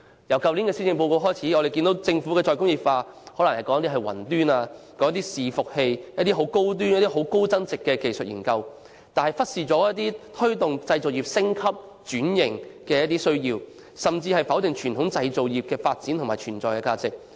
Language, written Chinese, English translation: Cantonese, 由去年施政報告開始，我們看到政府的"再工業化"是指推動雲端伺服器等高端和高增值的技術研究，但忽視推動製造業升級轉型的需要，甚至否定傳統製造業的發展和存在價值。, We noticed that to the Government re - industrialization means promoting high - end and high - value - added technical studies such as cloud servers . The Government has neglected the need to promote the upgrading and transformation of the manufacturing industries and it has even denied the development and values of the traditional manufacturing industries